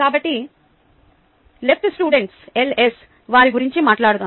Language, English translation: Telugu, so the left students ah, let us talk about them